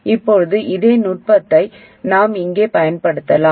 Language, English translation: Tamil, Now we can do exactly the same thing here